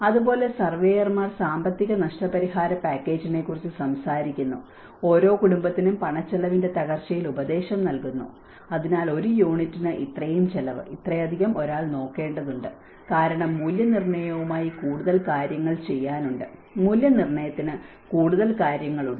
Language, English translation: Malayalam, Similarly, the surveyors talk about financial compensation package, advise in the breakdown of cash costs per family, so per unit this much cost, this much one has to look at because there is more to do with evaluation, there is more to the assessment